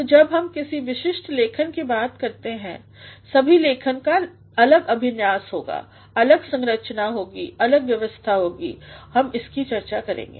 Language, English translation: Hindi, So, when we talk about any particular writing, every writing will have a different layout, different structuring or organization we shall be discussing that